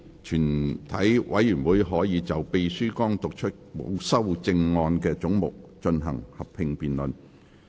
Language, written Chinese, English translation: Cantonese, 全體委員會可就秘書剛讀出沒有修正案的總目進行合併辯論。, Committee may proceed to a joint debate on the heads with no amendment read out by the Clerk just now